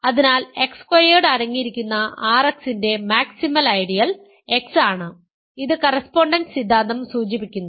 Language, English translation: Malayalam, So, the only maximal ideal of X contained of R X containing X squared is X which implies by the correspondence theorem